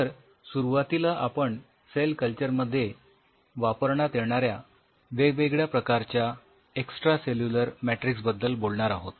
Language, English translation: Marathi, To start off with we will be talking about different types of extracellular matrix used in cell culture